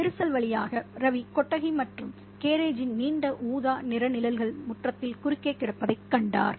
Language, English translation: Tamil, Through the crack, Ravi saw the long purple shadows of the shed and garage lying still across the yard